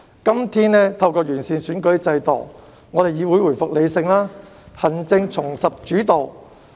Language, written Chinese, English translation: Cantonese, 今天，完善選舉制度令議會回復理性，行政重拾主導。, Today the improved electoral system has brought rationality back to the legislature and restored the executive - led system